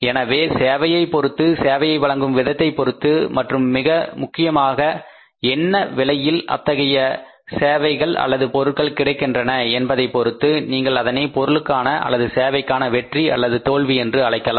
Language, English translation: Tamil, So depending upon the service depending upon the say the way the service is being provided and foremost thing is the price at which the service is available or the product is available that is the one important you can call it as basis of the success or failure of the products or services